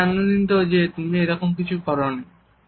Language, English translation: Bengali, I am glad you did not, thank you